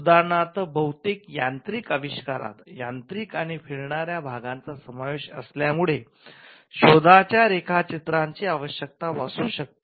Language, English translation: Marathi, For instance, most mechanical inventions, inventions involving mechanical and moving parts, may require drawings